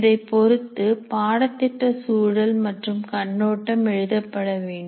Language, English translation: Tamil, Now, based on this, the course context and overview should be written